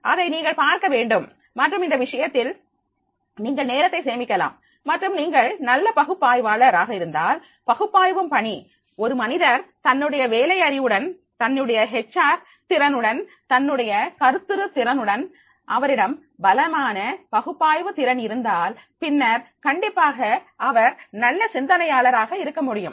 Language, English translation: Tamil, And therefore in that case you can save your time and if you are a good analyst analytical jobs if a person along with his job knowledge, along with his HR skills, if along with his conceptual skill, he is also having the strong analytical skill, then definitely he can be a good thinker